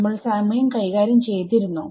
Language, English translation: Malayalam, Did we deal with time at all